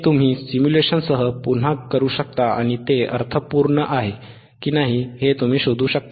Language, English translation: Marathi, This you can do again with simulation, and you can find it whetherif it makes sense or not, right